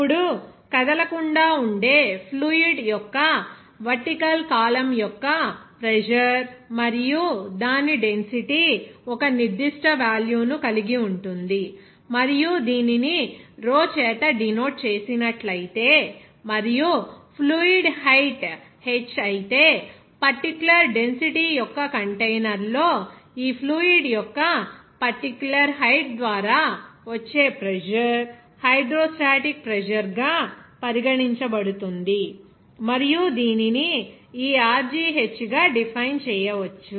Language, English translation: Telugu, Now, the pressure at the base of a vertical column of fluid that is not moving and whose density will have a certain value and if it is denoted by rho and the fluid height is h, then this pressure exerted by this particular height of this liquid in the container of that particular density, it will be regarded as hydrostatic pressure and it can be defined as this Rho gh